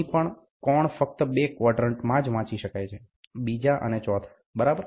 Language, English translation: Gujarati, Here also, the angle can be directly read only in two quadrants, namely second and fourth, ok